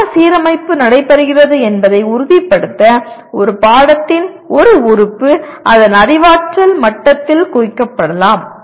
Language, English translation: Tamil, And to ensure that the proper alignment takes place an element of a course can be tagged by its cognitive level